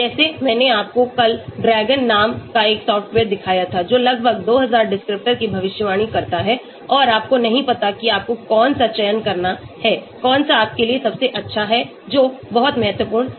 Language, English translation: Hindi, like I showed you yesterday a software called DRAGON, which predicts almost 2000 descriptors and you do not know which one to select, which one is the best for you that is very, very important